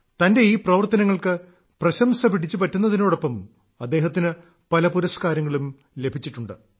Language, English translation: Malayalam, He has also received accolades at many places for his efforts, and has also received awards